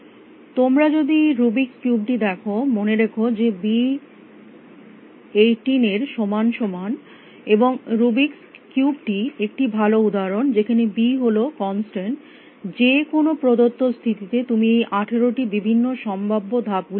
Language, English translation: Bengali, if you look at the Rubik’s cube remember that b is equal to 18 and Rubik’s cube is a nice example where b is constant at any given state you can make this 18 possible different moves